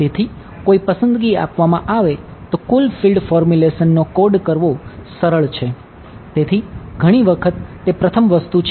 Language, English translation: Gujarati, So, given a choice it is easier to code total field formulation